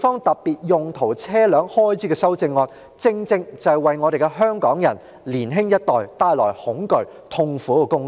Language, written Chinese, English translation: Cantonese, 特別用途車輛正正是為我們香港人及年輕一代帶來恐懼和痛苦的工具。, Specialized vehicles are the very tools that bring fear and pain to us Hongkongers and the young generation